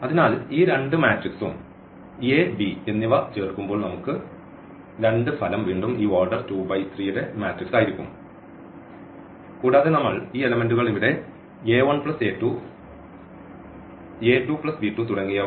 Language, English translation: Malayalam, So, when we add these two matrix a and b and we can take any two matrices the result would be again this matrix of order 2 by 3 and we will be just adding these components here a 1 plus b 2 this b 1 a 1 plus a 2 b 1 plus b 2 and so on